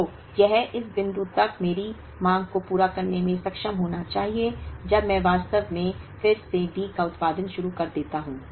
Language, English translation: Hindi, So, that should be capable of meeting my demand up to this point, when I actually start producing D again